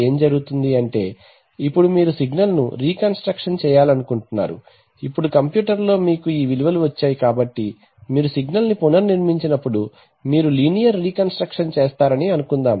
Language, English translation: Telugu, So what happens is the, now you would like to reconstruct the signal right, now in the computer you have got these values so when you reconstruct the signal, you will suppose you do a linear reconstruction